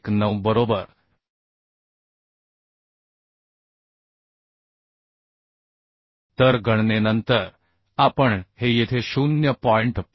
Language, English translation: Marathi, 19 right So after calculation we can get this as 0